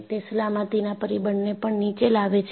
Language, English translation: Gujarati, So, they bring down the factor of safety